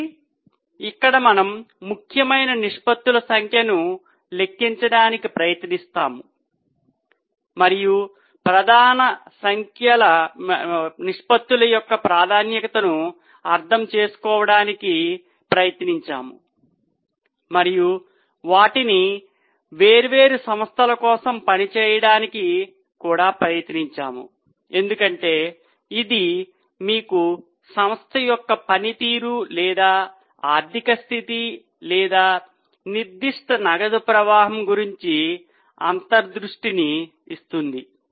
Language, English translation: Telugu, So, here we have tried to calculate number of important ratios and try to understand the significance of the major ratios and try to work them out for different companies because that will give you insight about the performance or financial position or cash flow of that particular company